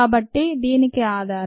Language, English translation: Telugu, so that is the bases for this